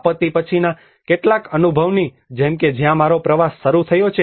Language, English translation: Gujarati, Like some of the post disaster experience which where my journey have started